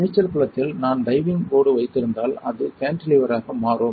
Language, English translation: Tamil, You see if I have a diving board right in a swimming pool this becomes a Cantilever